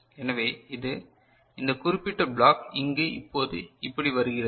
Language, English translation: Tamil, So, this is this particular block now comes over here like this right